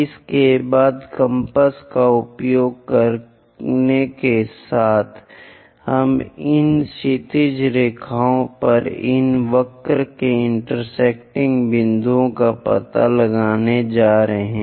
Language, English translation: Hindi, After that with using compass, we are going to locate the intersection points of this curve on this horizontal lines